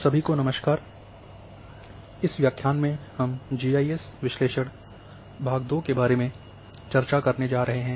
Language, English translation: Hindi, Hello everyone, this is we are going to now discuss in this particular lecture about analysis and part 2